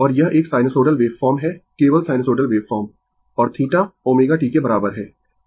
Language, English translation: Hindi, And this is a sinusoidal waveform you only sinusoidal waveform and theta is equal to omega t right